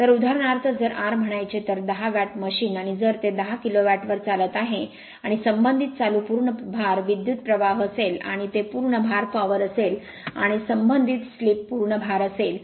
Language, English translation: Marathi, So, if you if r you say 10 watt machine for example, and if it operates at 10 kilowatt that is actually your call and corresponding current will be full load current, and that is the full load power and corresponding slip will be your full load slip